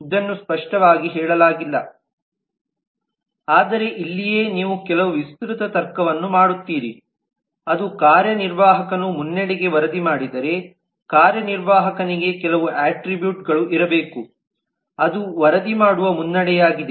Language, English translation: Kannada, it is not explicitly said, but this is where you will do some extensional logic that if the executive reports to the lead then there has to be some attribute for an executive which is a reporting lead